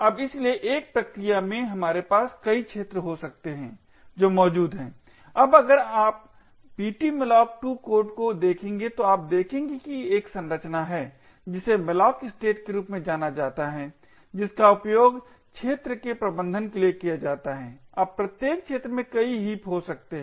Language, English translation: Hindi, Now therefore in one process we could have multiple arena that are present, now if you look at the ptmalloc2 code you would see that there is a structure known as malloc state which is used to manage the arenas, now each arena can have multiple heaps